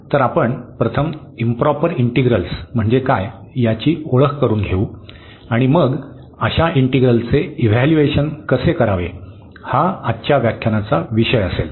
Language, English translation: Marathi, So, we will introduce first the improper integrals and then how to evaluate such integrals that will be the topic of today’s lecture